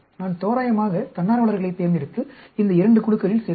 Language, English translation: Tamil, I will randomly pick volunteers and put into these two groups